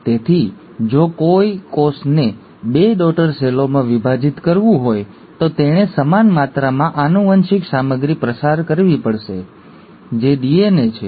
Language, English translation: Gujarati, So, if a cell has to divide into two daughter cells, it has to pass on the same amount of genetic material, which is DNA